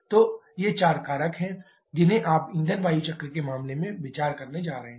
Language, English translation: Hindi, So, these are the four factors that you are going to consider in case of fuel air cycles